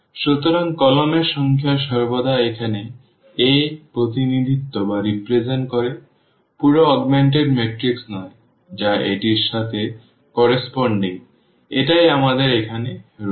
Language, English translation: Bengali, So, number of columns always represent the I mean of A here yeah not the whole augmented matrix this is corresponding to a this is corresponding to b, that is what we have here